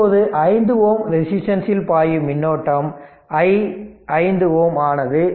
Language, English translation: Tamil, Now, i that current flowing through 5 ohm resistance that is i 5 ohm we are writing; i 1 plus i 3 plus i 5